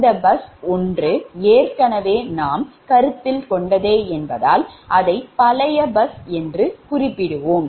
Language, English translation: Tamil, one, because already this bus, one we have considered previously, so this bus will become old bus